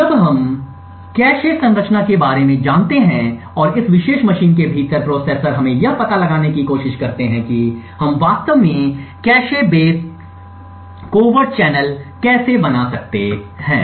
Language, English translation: Hindi, So now that we know about the cache structure and the processors within this particular machine let us next try to find out how we could actually build a cache base covert channel